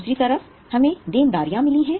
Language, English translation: Hindi, On the other side we have got liabilities